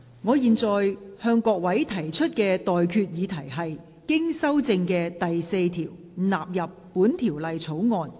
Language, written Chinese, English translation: Cantonese, 我現在向各位提出的待決議題是：經修正的第4條納入本條例草案。, I now put the question to you and that is That clause 4 as amended stand part of the Bill